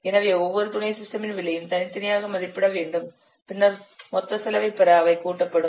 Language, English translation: Tamil, So you have to estimate the cost of each subsystem separately, individually, then the cost of the subsystems they are added to obtain the total cost